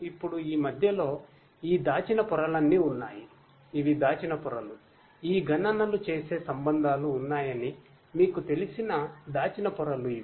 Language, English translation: Telugu, Now, in between are all these hidden layers, these are the hidden layers where lot of you know integrate relationships are there which does these computations